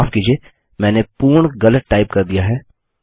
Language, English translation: Hindi, Sorry I have typed this completely wrong